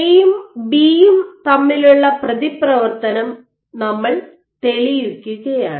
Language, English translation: Malayalam, We are proving the interaction of A and B